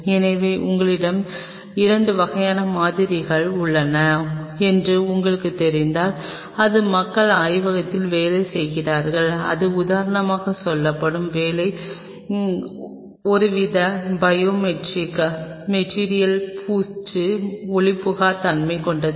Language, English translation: Tamil, So, if you know that you have 2 kind of samples its people working in the lab one which will be say for example, your work some kind of biomaterial coating which is opaque